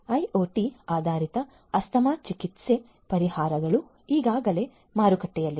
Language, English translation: Kannada, IoT based asthma treatment solutions are already in the market